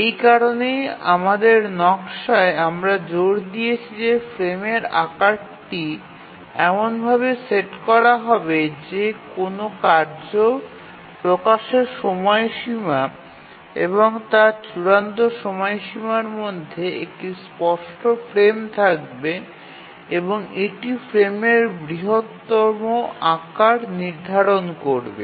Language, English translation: Bengali, And that is the reason why in our design we will insist that the frame size must be set such that there is a clear frame between the release of a task and its deadline and that sets the largest size of the frame